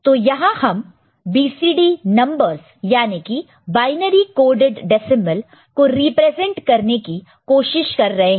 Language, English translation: Hindi, So, here we are trying to represent BCD numbers binary coded decimals